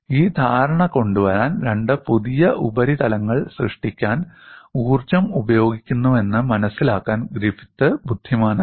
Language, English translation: Malayalam, To bring in this understanding, Griffith was intelligent enough to appreciate, that energy is being consumed to create two new surfaces